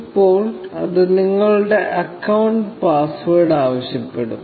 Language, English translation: Malayalam, Now, it will ask you for your account password